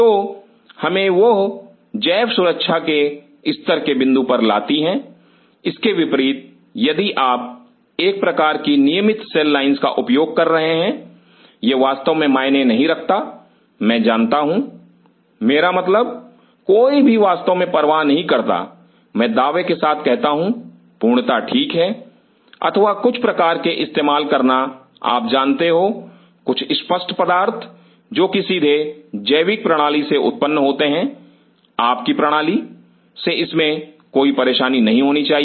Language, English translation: Hindi, So, that brings us to the point of level of biosafety, the country if you are using a kind of regular cell lines it really does not matter, I know I mean nobody really bothers, I mean it its perfectly fine or using some kind of you know some straightforward materials directly derived from biology your system should not be a problem